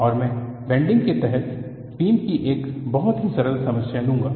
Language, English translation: Hindi, And I will take up a very simple problem of beam and bending